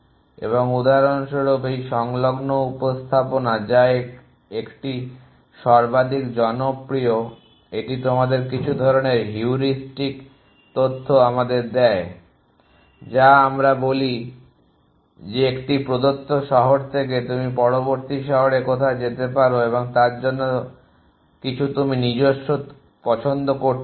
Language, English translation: Bengali, And for example, this adjacency representation which is 1 of the most popular it allows it you some form of heuristic knowledge we says that from a given city you can makes some in form choices to where to go next city